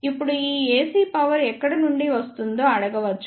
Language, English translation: Telugu, Now, one may ask from where this AC power comes